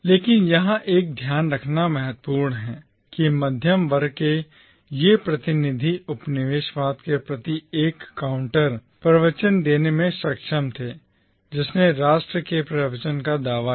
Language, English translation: Hindi, But what is important to note here is that these representatives of the middle class were able to forge a counter discourse to colonialism, which claimed to be the discourse of the nation